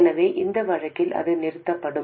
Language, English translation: Tamil, So in that case, it will stop